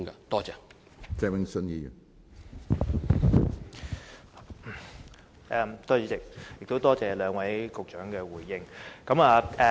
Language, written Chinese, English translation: Cantonese, 多謝主席，也多謝兩位局長作出回應。, My thanks to you President and also to the two Secretaries for their replies